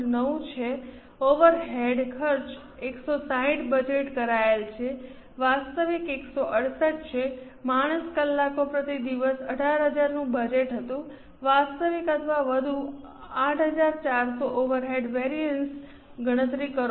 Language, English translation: Gujarati, 9 overhead cost is 160 budgeted actual is 168 man hours per day was budgeted 8,000 actual or more, 8,400 compute overhead variances